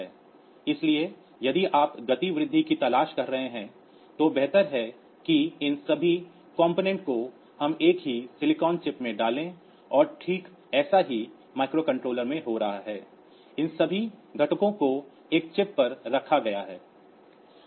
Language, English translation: Hindi, So, it is better that all these components we put into the same silicon chip and that is exactly what is happening in microcontroller that all these components they are put onto a single chip